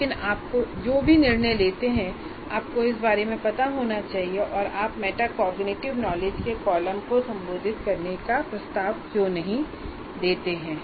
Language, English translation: Hindi, But any decision that you make, it should be conscious and why we are not addressing the, let's say the column of metacognity